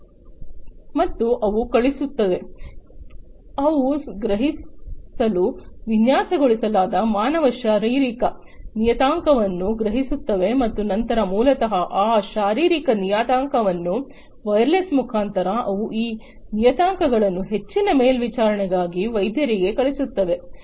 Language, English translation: Kannada, And they send, they sense the human physiological parameter that they have been designed to sense and then basically those physiological parameters wirelessly they are going to send those parameters to the doctors for further monitoring